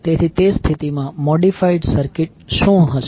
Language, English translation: Gujarati, So in that case what will be the modified circuit